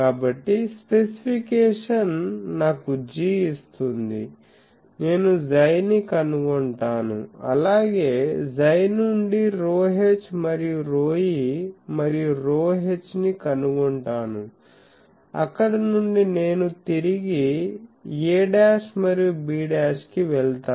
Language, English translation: Telugu, So, the specification will give me G I will find chi from chi I will find rho e as well as rho h and from rho e and rho h I will go back to a dash and b dash